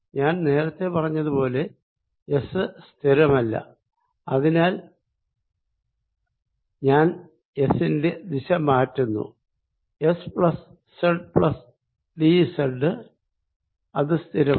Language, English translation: Malayalam, as i said earlier, s is not fix, so i am also changing the direction of s plus z plus d z, which is fixed